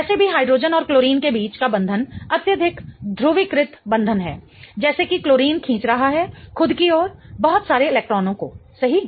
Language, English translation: Hindi, Anyways the bond between hydrogen and chlorine is a highly polarized bond such that chlorine is pulling away a lot of electrons towards itself, right